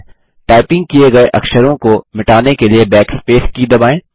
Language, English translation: Hindi, Press the Backspace key to delete typed characters